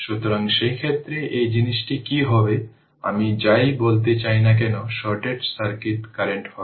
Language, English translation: Bengali, So, you will get this what you call this is short circuit current